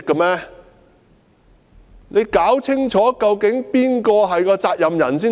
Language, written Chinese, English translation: Cantonese, 他要弄清楚究竟誰要負責任才行。, He has got to find out clearly who should be held responsible